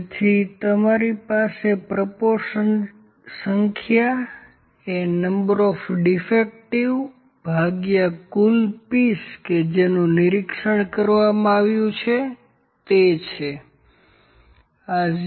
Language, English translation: Gujarati, So, number of proportion you have directly would be this is equal to the number of defectives divided by the total number of pieces those are inspected this is 0